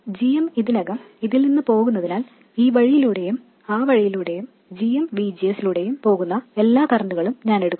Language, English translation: Malayalam, Since GM is already flowing away, I will take all the currents going away, this way, that way, and GMVGS